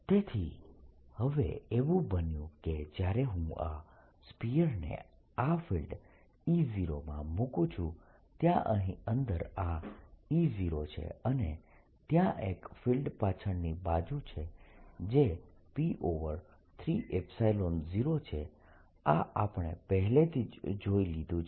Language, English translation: Gujarati, so what has happened now is that when i put this sphere in this field e, there is this e zero inside and there is a field backwards which is p over three epsilon zero